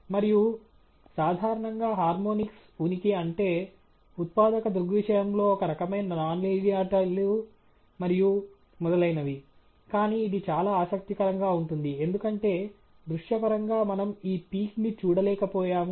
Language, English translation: Telugu, And typically, presence of harmonics means some kind of non linearities in the generating phenomenon and so on, but it’s very interesting, because visually we could not see this peak